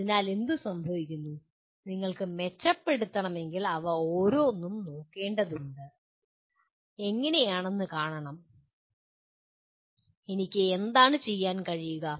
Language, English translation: Malayalam, So what happens, if you want to improve you have to look at each one of them and to see how, what is it that I can do